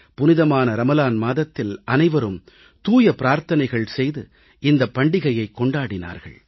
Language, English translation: Tamil, The holy month of Ramzan is observed all across, in prayer with piety